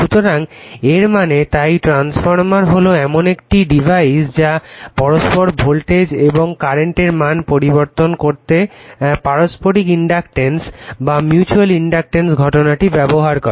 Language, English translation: Bengali, So, that means, therefore, the transformer is a device which uses the phenomenon of mutual inductance mutual induction to change the values of alternating voltage and current right